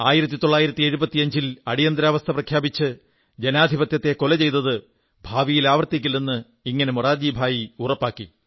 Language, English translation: Malayalam, In this way, Morarji Bhai ensured that the way democracy was assassinated in 1975 by imposition of emergency, could never be repeated againin the future